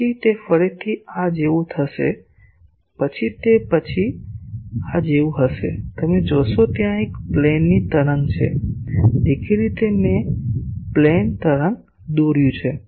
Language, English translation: Gujarati, Then it will again be like this, then it will be like this, then it will be like this, then it will be like this, then it will be like this, then it will be like this, then it will be like this, then after that again it will be like this, like this, you see there this is what a plane wave; obviously, I have drawn a plane wave